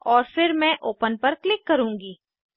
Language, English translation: Hindi, and then I will click on open